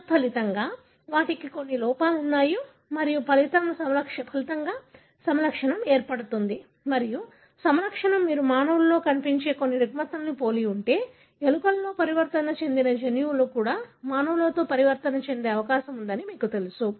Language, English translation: Telugu, As a result, they have certain defect and resulting in a phenotype and if the phenotype resembles some of the disorder that you see in humans, then you know that the gene that is mutated in mouse is also likely to be mutated in the humans